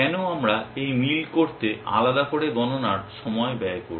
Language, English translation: Bengali, Why should we spend computation time doing this match separately